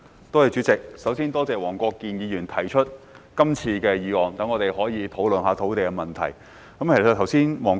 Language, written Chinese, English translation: Cantonese, 代理主席，首先多謝黃國健議員提出這項議案，讓我們可以討論土地問題。, Deputy President first of all I would like to thank Mr WONG Kwok - kin for proposing this motion so that we can discuss the land issue